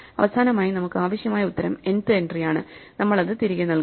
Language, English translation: Malayalam, And finally, the answer we need is the nth entry, so we just return that